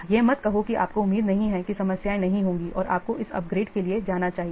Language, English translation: Hindi, So if, so don't say that, don't expect that problems will not occur and we should go for this word upgradeation